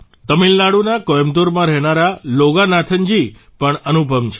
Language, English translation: Gujarati, Loganathanji, who lives in Coimbatore, Tamil Nadu, is incomparable